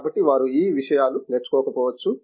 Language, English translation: Telugu, So, they might not have learnt these things